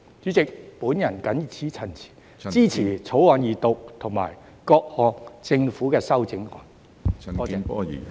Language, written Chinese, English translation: Cantonese, 主席，我謹此陳辭，支持《條例草案》二讀和政府的各項修正案。, With these remarks President I support the Second Reading of the Bill and the Governments amendments